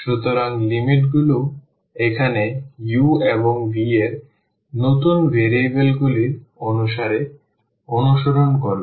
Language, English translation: Bengali, So, the limits will now follow according to the new variables u and v